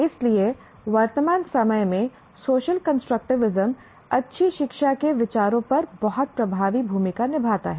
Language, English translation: Hindi, So social constructivism plays a very dominant role in present days considerations of good learning